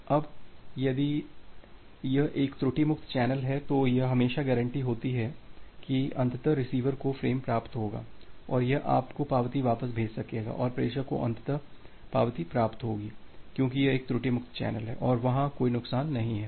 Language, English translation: Hindi, Now, if it is a error free channel it is always guaranteed that eventually the receiver will receive the frame and it will be able to send you back the acknowledgement and the sender will eventually receive the acknowledgement, because it is an error free channel and there is no loss